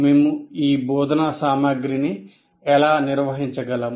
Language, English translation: Telugu, And now how do we organize this instructional material